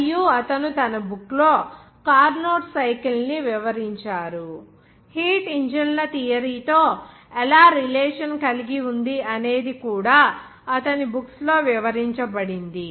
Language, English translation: Telugu, And he described to the Carnot cycle in his book, how to relate to the theory of heat engines are also described in his books